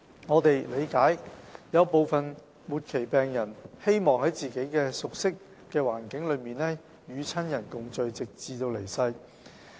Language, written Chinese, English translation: Cantonese, 我們理解有部分末期病人希望在自己熟悉的環境中與親人共聚，直至離世。, We understand that some terminally ill patients may wish to stay with their families in a familiar environment until their passing away